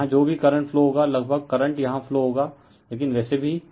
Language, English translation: Hindi, So, whatever current will flowing here almost current will be same current will be flowing here right, but anyway